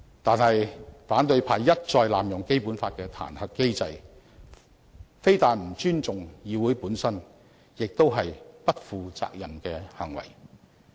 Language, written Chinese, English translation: Cantonese, 但是，反對派一再濫用《基本法》的彈劾機制，非但不尊重議會本身，更是不負責任的行為。, However the opposition camp has time and again abused the impeachment mechanism under the Basic Law; it not only disrespects the legislature but also acts irresponsibly